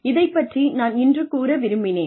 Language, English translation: Tamil, I really wanted to cover this today